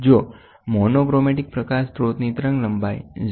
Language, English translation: Gujarati, If the wavelength of the monochromatic light source is 0